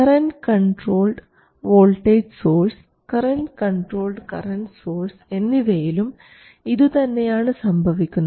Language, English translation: Malayalam, You first have a current controlled voltage source and after that a voltage controlled current source